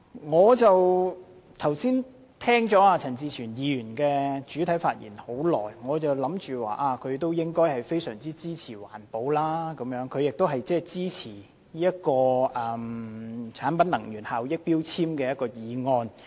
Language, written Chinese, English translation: Cantonese, 剛才聽到陳志全議員發言，我覺得他應相當支持環保，亦很支持根據《能源效益條例》動議的決議案。, Having listened to Mr CHAN Chi - chuens remarks I think that he should be quite supportive of environmental protection and he also supports the proposed resolution under the Energy Efficiency Ordinance